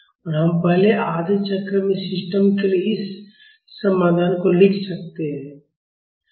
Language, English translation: Hindi, Now we can write this solution for the system in the first half cycle